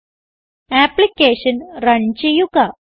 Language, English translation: Malayalam, Run the application